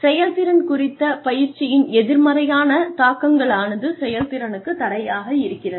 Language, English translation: Tamil, One of the negative impacts of, training on performance is that, it hampers performance